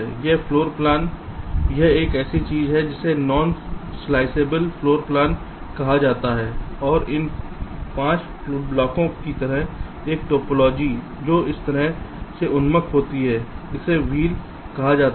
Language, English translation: Hindi, this is something which is called a non sliceable floor plan and a topology like this, five blocks which are oriented in this fashion